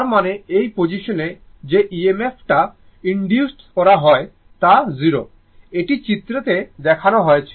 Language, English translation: Bengali, So that means, at this position that EMF induced at this position will be 0, it is that is whatever in the diagram it is shown